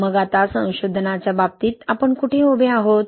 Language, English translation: Marathi, So where we stand now in terms of research